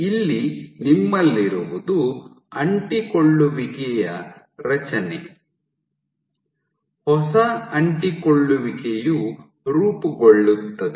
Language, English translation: Kannada, What you also have is formation of an adhesion here, new adhesion is formed